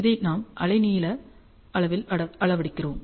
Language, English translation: Tamil, We see this we measure this on the wavelength scale